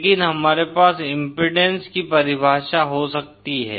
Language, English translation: Hindi, But we can have a definition of impedance